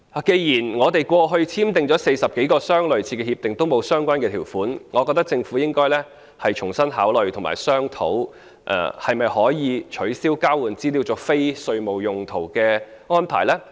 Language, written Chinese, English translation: Cantonese, 既然在過去簽訂的40多項類似的協定內也沒有相關條款，我覺得政府應該重新考慮及商討可否取消交換資料作非稅務用途的安排。, Given that over 40 similar agreements signed in the past did not contain the relevant provision I think the Government should rethink and discuss afresh whether the arrangement for the use of the exchanged information for non - tax related purposes can be cancelled